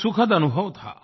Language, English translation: Hindi, It was indeed a delightful experience